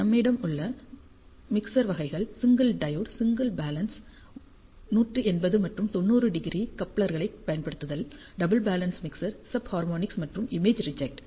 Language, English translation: Tamil, So, we have mixer types single diode, single balanced, using 180 and 90 degree couplers, double balanced mixer, sub harmonic, and image reject